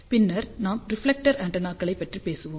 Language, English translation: Tamil, Then we will talk about reflector antennas